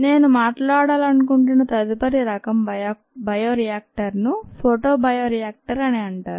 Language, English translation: Telugu, the next kind of bioreactor that i would like to talk about is what is called a photobioreactor